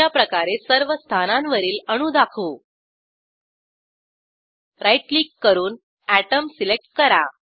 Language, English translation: Marathi, To display atoms on the first position, right click